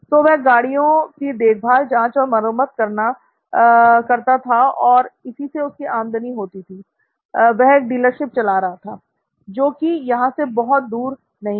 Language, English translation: Hindi, So he used to do his servicing overhaul of vehicles and that’s where his revenue came from, he was running a dealership not too far from here